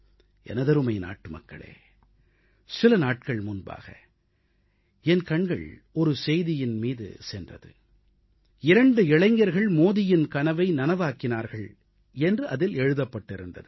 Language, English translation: Tamil, My dear countrymen, a few days ago I happened to glance through a news item, it said "Two youths make Modi's dream come true"